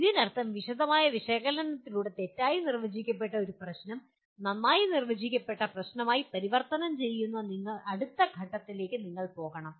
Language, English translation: Malayalam, That means you have to go to the next stage of further what do you call converting a ill defined problem to a well defined problem through a detailed analysis